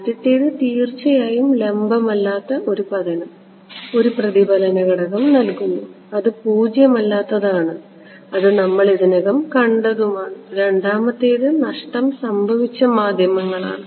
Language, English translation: Malayalam, The first is of course that non normal incidence gives a reflection coefficient that is non zero we already saw that and the second is lossy mediums ok